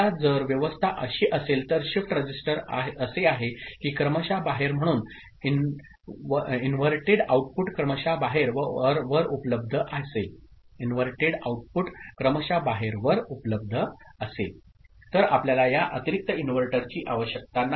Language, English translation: Marathi, Now, if the arrangement is such, that shift register is such, that inverted output is available at the serial out, as serial out, then you do not need this extra inverter